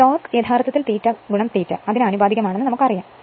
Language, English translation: Malayalam, So, we know that torque actually proportional to phi into I a